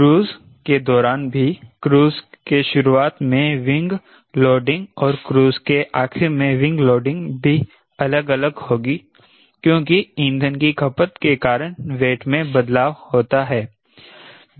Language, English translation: Hindi, the wing loading during start off, cruise and wing loading during end of cruise will also change because they are change in weight because of fuel consumption